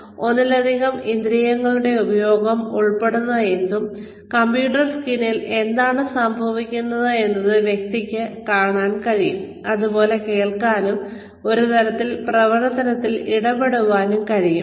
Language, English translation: Malayalam, But anything that involves, the use of more than one sense, in terms of, the person being able to see, what is going on the computer screen, and also being able to hear, and maybe even be able to engage, in some sort of activity